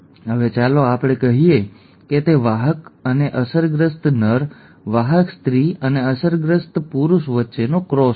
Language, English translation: Gujarati, Now let us say, it is a cross between a carrier and an affected male, carrier female and an affected male